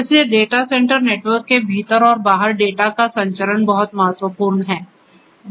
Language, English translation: Hindi, So, transmission of the data within and outside the data centre networks is what is very important